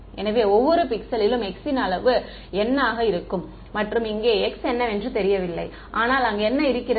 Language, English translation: Tamil, So, x is going to be of size n and at each pixel over here, x is the unknown, but what is also there